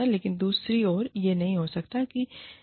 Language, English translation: Hindi, But, on the other hand, it may not be